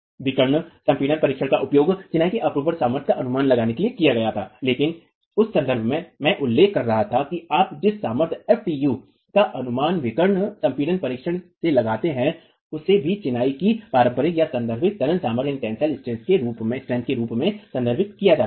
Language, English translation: Hindi, The diagonal compression test was used to estimate the sheer strength of masonry but in that context I was mentioning that the strength FTA that you estimate from the diagonal compression test is also referred to as the conventional or referential tensile strength of masonry